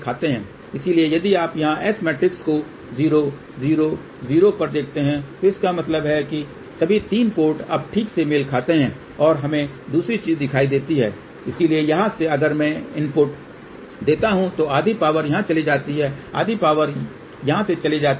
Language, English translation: Hindi, So, if you look at the S matrix here 0 0 0, so that means all the 3 ports are now matched ok and let us see another thing, so from here if I give the input half power goes here half power goes over here